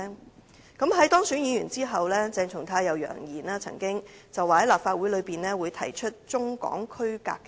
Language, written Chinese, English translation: Cantonese, 鄭松泰議員當選議員後曾經揚言會在立法會上提出中港區隔的議案。, After being elected a Member of this Council Dr CHENG Chung - tai threatened to propose a motion on the separation of Hong Kong and China in the Legislative Council